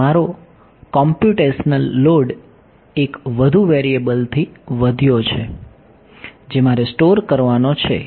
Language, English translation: Gujarati, So, I have my computational load has increased by one more variable that I have to store